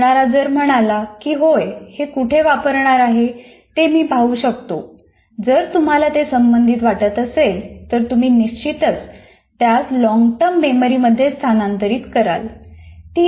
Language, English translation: Marathi, So if the learner finds it, yes, I can see what is the, where I am going to use, you are going to, if you find it relevant, then you will certainly transfer it to the long term memory